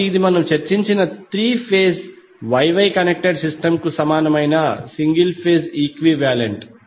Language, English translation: Telugu, So this will be single phase equivalent of the three phase Y Y connected system which we discussed